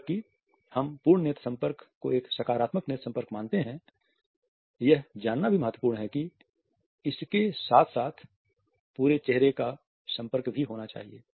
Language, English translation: Hindi, While we make a full eye contact a positive eye contact, it is also important to learn that the whole face contact should also be accompanied with it